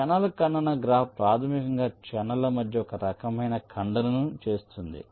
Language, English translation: Telugu, the channel intersection graph basically models this kind of intersection between the channels right